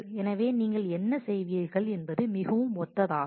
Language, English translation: Tamil, So, what you will do is a very similar